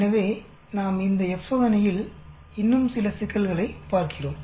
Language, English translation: Tamil, So, we look at some more problems on this F test